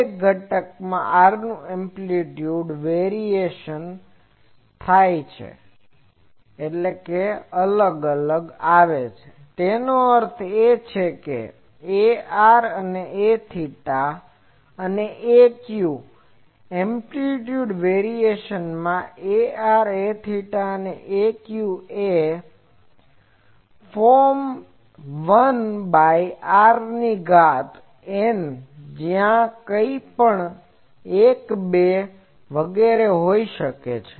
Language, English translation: Gujarati, The amplitude variation of R in each component; that means, in A r, A theta and A phi is of the form Amplitude variation in A r A theta A phi is of the form 1 by r to the power n; where, N may be anything 1, 2 etc